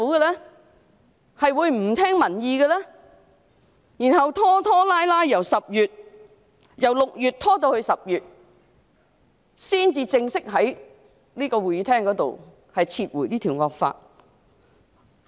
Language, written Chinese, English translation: Cantonese, 其後他們拖拖拉拉，由6月拖至10月，才正式在這個會議廳裏撤回這項惡法。, After that they dragged their feet from June to October before this draconian law was officially withdrawn in this Chamber